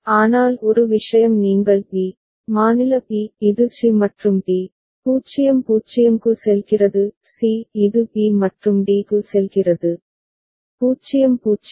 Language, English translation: Tamil, But one thing you can see that b, state b it goes to c and d, 0 0; c it goes to b and d, 0 0